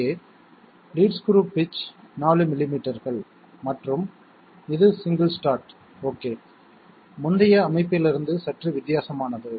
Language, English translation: Tamil, Here, the lead screw pitch is 4 millimetres and it is single start okay, slightly different from the previous setup